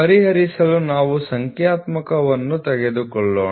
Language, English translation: Kannada, Let us take a numerical to solve, ok